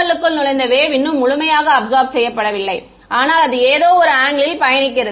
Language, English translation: Tamil, The wave, that has entered the PML and not yet fully absorbed, but travelling at some angle right